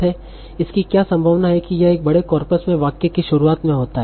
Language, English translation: Hindi, What is the probability that it occurs in the start of the sentence in a large corpus